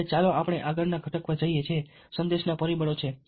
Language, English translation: Gujarati, now lets move on to the next component, which is the message factors